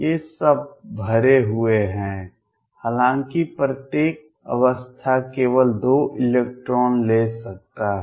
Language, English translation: Hindi, These are all filled; however, each state can take only 2 electrons